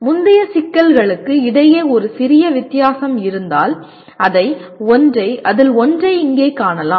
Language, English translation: Tamil, Now if you see there is a small difference between the earlier problems then the one here